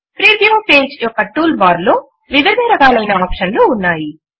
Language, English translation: Telugu, There are various controls options in the tool bar of the preview page